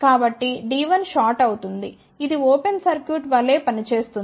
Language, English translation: Telugu, So, D 1 is shorted this will act as an open circuit